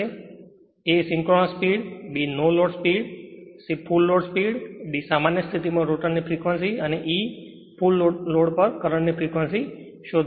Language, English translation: Gujarati, Find the a synchronous speed, b no load speed, c full load speed, d frequency of rotor current at standstill, and e frequency of rotor current at full load right